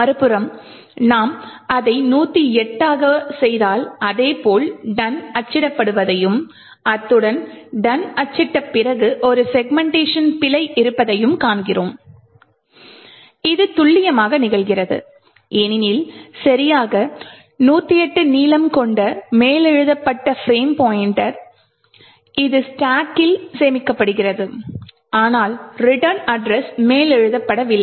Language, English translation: Tamil, On the other hand, if I make it 108 and the exactly the same thing we see that the done gets printed as well as after done there is a segmentation fault this occurs precisely because with a length of exactly 108 the frame pointer which is stored on the stack is overwritten but not the return address